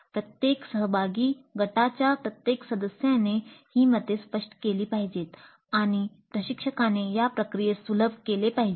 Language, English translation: Marathi, Every participant, every member of the group must articulate these views and instructor must facilitate this process